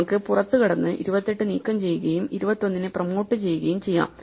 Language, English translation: Malayalam, So, we can just walked out remove the 28 and promote the 21